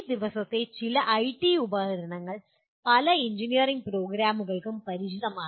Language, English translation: Malayalam, Some of the IT tools these days many engineering programs are familiar with